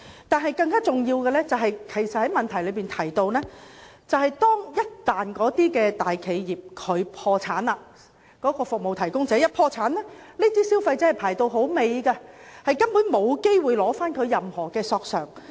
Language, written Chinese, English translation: Cantonese, 但是，更重要的是，也是我在質詢中提到的，便是服務提供者一旦破產，消費者索償的次序會放在其他債權人之後，根本沒機會取回任何索償。, But what is more important which has been raised in my question is in the event that a service provider goes bankrupt the claims priority of consumers will be placed after other creditors and thus they stand no chance of getting any compensation